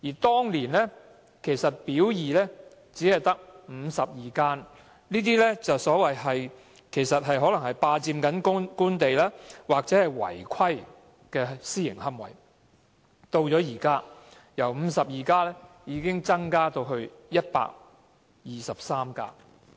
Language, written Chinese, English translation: Cantonese, 當年"表二"只列出52家霸佔官地或違規的私營龕場，但現在違規的私營龕場已由52家增至123家。, Back then Part B only listed 52 unauthorized private columbaria which occupied Government land illegally but now the number of unauthorized private columbaria has increased from 52 to 123